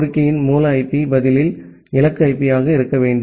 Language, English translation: Tamil, The source IP at the request should be the destination IP at the reply